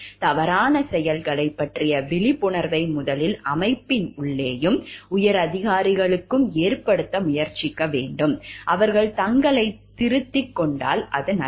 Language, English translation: Tamil, We should try to generate the awareness of the wrong doings first to the inside of the organization, to the higher ups and if they are correcting themselves it is fine